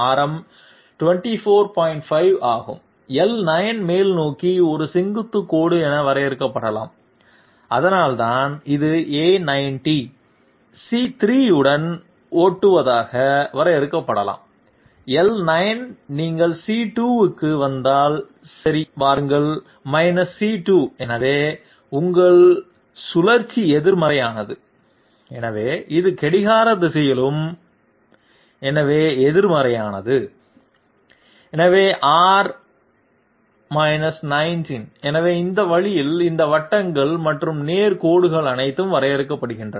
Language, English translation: Tamil, 5, L9 can be defined as a vertical line upwards that is why it is A90, C3 can be defined to be driving along L9 if you come to C2 okay come to C2 therefore, your rotation is negative and therefore it is clockwise and therefore negative, so R 19 so this way all these circles and straight lines they have being drawn